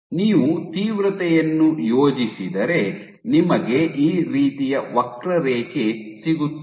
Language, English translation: Kannada, So, if you plot the intensity you will have a curve something like this